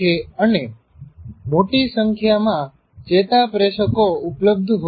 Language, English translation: Gujarati, As you can see the neurotransmitters are released